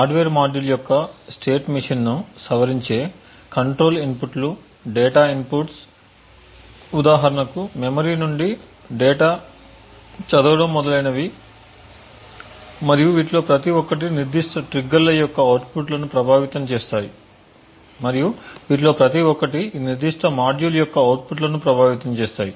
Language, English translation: Telugu, A control inputs which modify the state machine of the hardware module, data inputs for example data read from memory and so on and each of these will affect the outputs of the particular triggers and each of these will affect the outputs of this particular module, each of these inputs global control data and test could potentially be a way through which a trigger can be activated